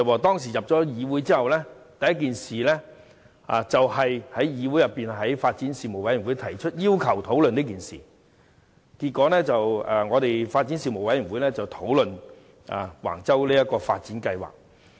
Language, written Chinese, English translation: Cantonese, 他進入議會後，所做的第一件事是在發展事務委員會要求討論這件事，結果發展事務委員會便討論橫洲發展計劃。, After he entered the Council the first thing he did was to ask the Panel on Development to discuss this incident . Consequently the Panel on Development discussed the Wang Chau development project